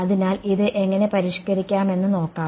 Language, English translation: Malayalam, So, let us see how we can modify this